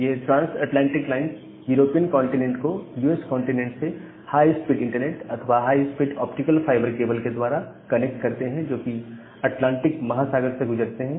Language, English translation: Hindi, So, this transatlantic lines, they interconnect the European continent with the US continent and the through high speed internet or high speed optical fiber cable; which are going through the Atlantic Ocean